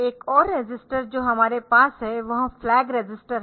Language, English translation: Hindi, Another register that we have is the flag register